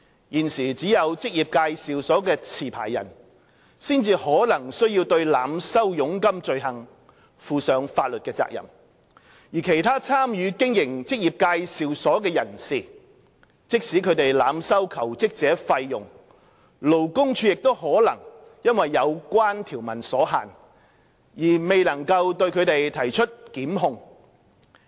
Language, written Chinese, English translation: Cantonese, 現時只有職業介紹所的持牌人，才可能須對濫收佣金罪行負上法律責任，而其他參與經營職業介紹所的人士，即使他們濫收求職者費用，勞工處亦可能因有關條文所限而未能對其提出檢控。, At present only the licensee of an EA could be held liable to the overcharging offence but not other persons involved in the operation of EA . Even if they charge job - seekers excessive fees the Labour Department LD may not be able to institute prosecution against them owing to the limitations of the provisions